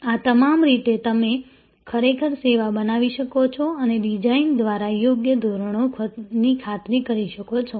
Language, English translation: Gujarati, All these are way you can actually create the service and ensure proper standards by the design